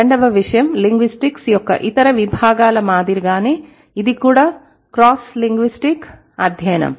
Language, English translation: Telugu, Second thing, much like other disciplines of linguistics, this is also a cross linguistic study